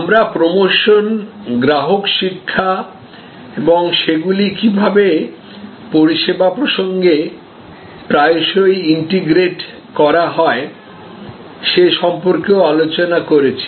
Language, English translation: Bengali, We have also discussed about promotion, customer education and how they are integrated in service context very often